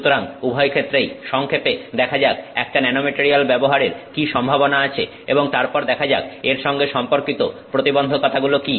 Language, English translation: Bengali, So, in both cases let's see briefly what is the possibility of using a nanomaterial and then let us see what is the challenge involved in it